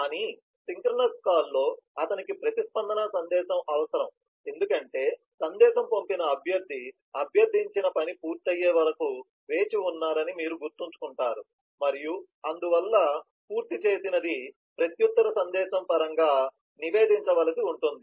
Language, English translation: Telugu, but in a synchronous call, he will need a response message because you remember that the requestor who is the sender of the message is waiting for the requested task to be completed and therefore that completion will have to be reported in terms of a reply message